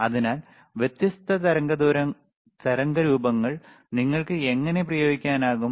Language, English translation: Malayalam, So, this is thehow you can you can apply different waveforms, right